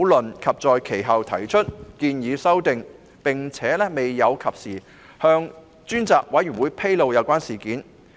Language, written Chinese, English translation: Cantonese, 周議員其後提出修訂建議，卻未有及時向專責委員會披露有關事件。, Mr CHOW had subsequently proposed his amendments but he failed to disclose to the Select Committee the relevant discussion in a timely manner